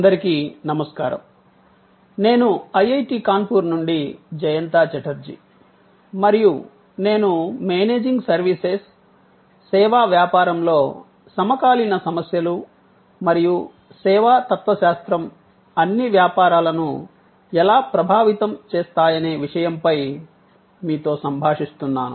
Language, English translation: Telugu, Hello, I am Jayanta Chatterjee from IIT Kanpur and I am interacting with you on Managing Services, contemporary issues in the service business and how the service philosophy is influencing all businesses